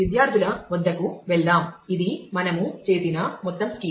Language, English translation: Telugu, Let us go to the students this is the whole schema that we had done